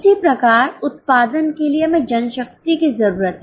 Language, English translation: Hindi, In the same way, for the production we need manpower